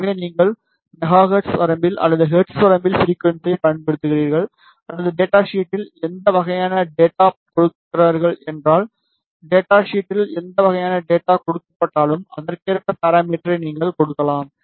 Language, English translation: Tamil, So, if you are using the frequency in megahertz range or Hertz range or whatever type of data is given in data sheet, so whatever type of data is given in data sheet, you can give the parameter accordingly